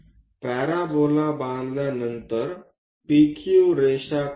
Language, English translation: Marathi, After constructing parabola, draw a P Q line